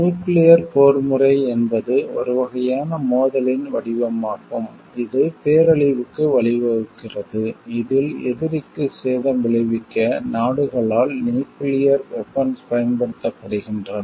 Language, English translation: Tamil, Nuclear warfare it is a type of conflict form of conflict, which is leading to mass destruction in which nuclear weapons are used by the country to inflict damage on the enemy